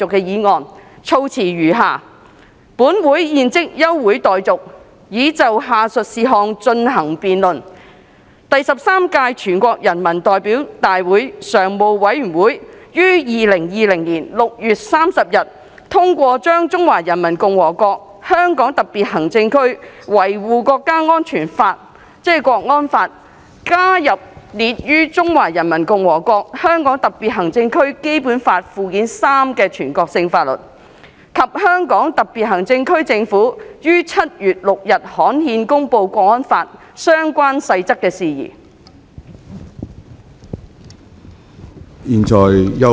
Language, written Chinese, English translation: Cantonese, 議案措辭如下："本會現即休會待續，以就下述事項進行辯論：第十三屆全國人民代表大會常務委員會在2020年6月30日通過把《中華人民共和國香港特別行政區維護國家安全法》加入列於《中華人民共和國香港特別行政區基本法》附件三的全國性法律，以及香港特別行政區政府在7月6日刊憲公布《港區國安法》相關細則的事宜。, The wording of the motion is as follows That this Council do now adjourn for the purpose of debating the following issue the addition of the Law of the Peoples Republic of China on Safeguarding National Security in the Hong Kong Special Administrative Region HKNSL to the list of national laws in Annex III to the Basic Law of the Hong Kong Special Administrative Region of the Peoples Republic of China as adopted by the Standing Committee of the Thirteenth National Peoples Congress on 30 June 2020 and the promulgation of the rules pertaining to HKNSL by the Government of the Hong Kong Special Administrative Region through gazettal on 6 July